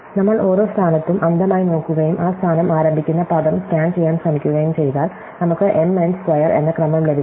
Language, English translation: Malayalam, So, we have seen earlier that if we just look blindly at every position and try to scan the word starting that position, we get something which is an order m, n square